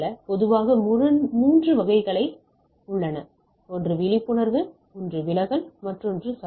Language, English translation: Tamil, The typically 3 categories of things are there, one is the attenuation, one is distortion, another is the noise